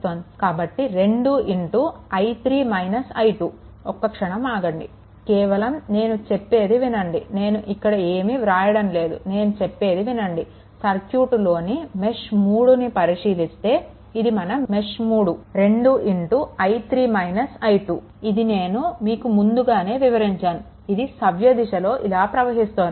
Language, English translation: Telugu, So, it will be actually 2 into i 3 minus your i 2, right, just hold on I just I am telling from my your; what you call from my mouth, just listen, it will look at the mesh 3, this is your mesh 3, right, it will be 2 into i 3 minus i 2, just if you the already I have explained because I moving clock wise